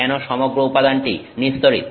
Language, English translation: Bengali, Why is the whole material neutral